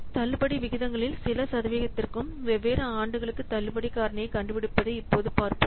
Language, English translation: Tamil, So now let's see we will find out the discount factor for some percentage of the discount rates and for different years